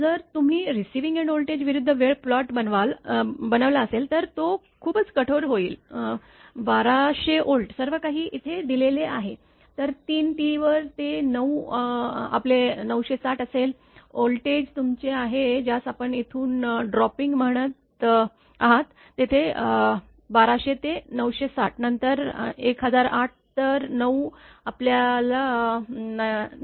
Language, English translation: Marathi, If you plot the receiving end voltage versus time it is T it will be too hard 1200 Volt everything everything is given here then at 3 T it will be nine your 960 your, voltage is your what you call dropping from here to here 1200 to 960 then 1008 then 9 your 998